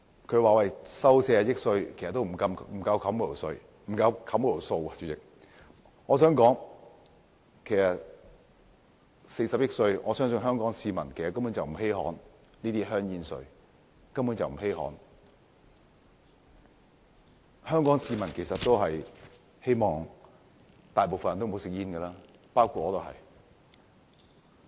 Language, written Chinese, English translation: Cantonese, 他們說收取40億元煙草稅並不足以抵銷那筆數目，我相信香港市民根本不稀罕40億元的煙草稅，香港市民其實希望大部分人不吸煙，包括我在內。, They said the 4 billion tobacco duty was not enough to cover the amount but I believe Hong Kong people do not care about this 4 billion tobacco duty . Hong Kong people including myself actually prefer that non - smokers be the majority